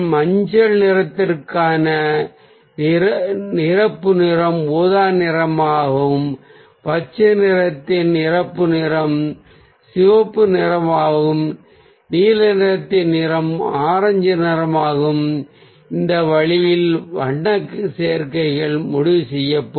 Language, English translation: Tamil, so the complementary colour for ah yellow will be purple, the complementary colour of green will be red, complementary colour of a blue will be orange, and this way ah the colour combinations will be decided